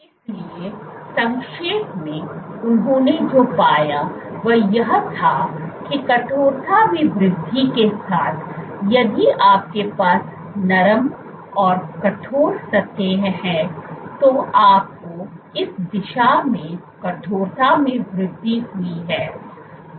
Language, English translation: Hindi, So, to summarize, so what they found was with increase in stiffness, if you have soft and stiff surfaces you have increase in stiffness in this direction